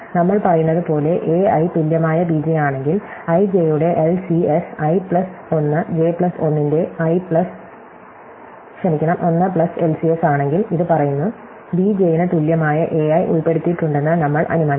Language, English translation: Malayalam, So, if a i equal b j as we say, LCS of i j is 1 plus LCS of i plus 1 j plus 1, this says, we will assume that a i equal to b j is included not solution